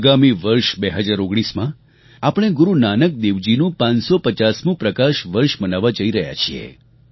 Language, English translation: Gujarati, Come 2019, we are going to celebrate the 550th PRAKASH VARSH of Guru Nanak Dev ji